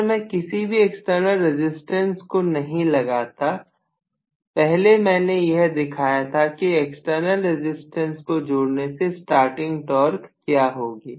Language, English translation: Hindi, If I do not include any external resistance, I showed first of all with inclusion of external resistance, this is what is the starting torque, right